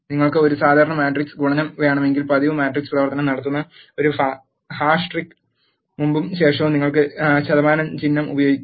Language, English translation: Malayalam, But if you want to have a regular matrix multiplication you have to use percentage symbol before and after this hash trick that will perform the regular matrix operation